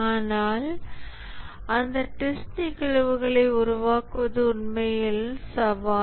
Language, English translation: Tamil, But creating those test cases are actually the challenge